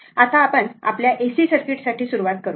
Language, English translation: Marathi, Now, we will start for your AC circuit